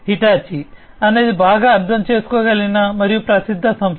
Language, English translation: Telugu, Hitachi is a company that is well understood and well known